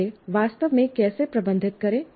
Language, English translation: Hindi, How exactly to manage that